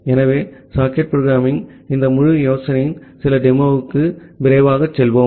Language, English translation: Tamil, So, let us quickly go to some demo of this entire idea of socket programming